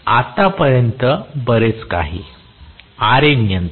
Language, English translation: Marathi, So much so far, Ra control